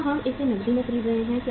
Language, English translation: Hindi, Are we buying it on cash